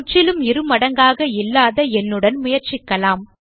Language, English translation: Tamil, Let us try with a number which is not a perfect square